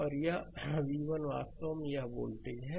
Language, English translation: Hindi, And this v 1 actually this is the voltage right